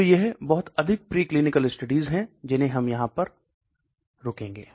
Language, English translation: Hindi, So it is much more preclinical studies we are going to stop at